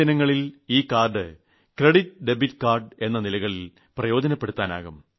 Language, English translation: Malayalam, In the coming days this card is going to be useful as both a credit and a debit card